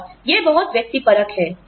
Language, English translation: Hindi, And, that is very subjective